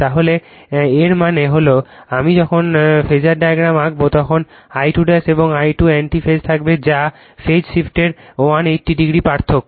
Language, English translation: Bengali, So that means, I when you will draw the phasor diagram then this I 2 dash and this I 2 will be in anti phase that is 180 degree difference of phaseshift